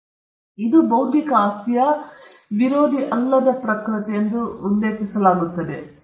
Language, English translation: Kannada, So, this is what is referred as the non rivalrous nature of intellectual property